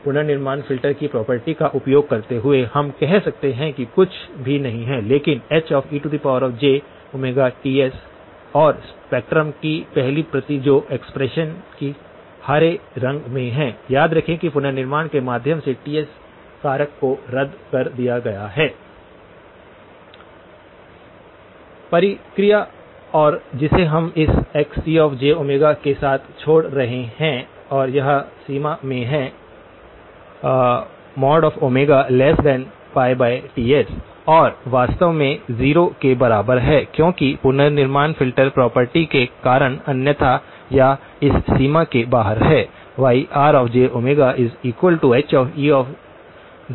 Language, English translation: Hindi, Using the property of reconstruction filter, we can then say is nothing but H e of j omega Ts and only the first copy of the spectrum that of the expression that is in green, remember that the Ts factor has been cancelled through the reconstruction process and what we are left with this Xc of j omega and this is in the range mod omega less than pi over Ts and is actually equal to 0 outside again because otherwise or outside this range because of the reconstruction filter property